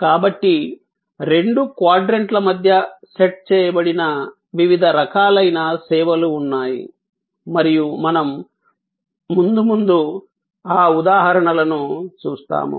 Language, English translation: Telugu, So, there are different kinds of services, which set between the two quadrants and we will see those examples as we go along